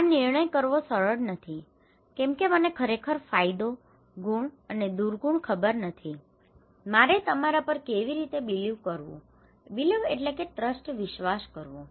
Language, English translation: Gujarati, It is not easy to make a decision why; because I would really do not know the advantage, merits and demerits, how should I believe you, how should I trust you right